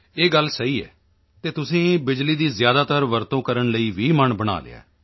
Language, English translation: Punjabi, This is true, you have also made up your mind to make maximum use of electricity